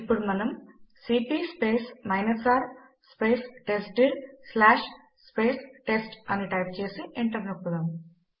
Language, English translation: Telugu, Now we type cp R testdir/ test and press enter